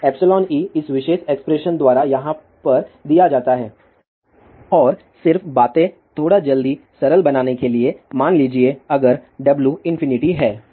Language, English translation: Hindi, So, epsilon effective is given by this particular expression over here and just to make things little bit quick simple here, suppose you have W is infinity